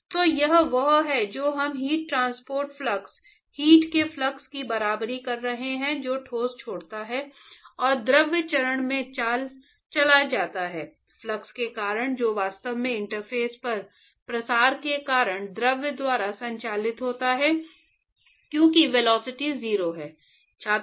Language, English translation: Hindi, So, it is the we are equating the heat transport flux, flux of heat that leaves the solid and goes into the fluid phase, with the flux that is actually conducted by the fluid because of diffusion at the interface, because the velocity is 0